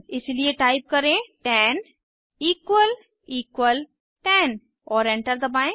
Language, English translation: Hindi, Type 10 plus 20 and press Enter